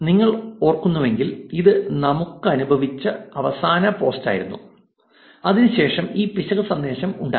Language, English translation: Malayalam, If you remember, this was the last post that we received and after that there was an error message